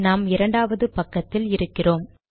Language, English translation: Tamil, Okay this is the second page